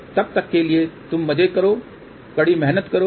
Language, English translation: Hindi, So, till then bye, enjoy yourself work hard